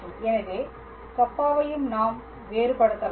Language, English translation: Tamil, So, so, here I can differentiate Kappa as well